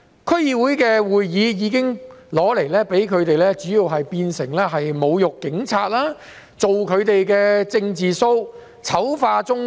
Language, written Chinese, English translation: Cantonese, 區議會會議主要已被他們用來侮辱警察、做"政治 show" 和醜化中國。, Right now DC meetings have been used by them to insult the Police stage political shows and smear China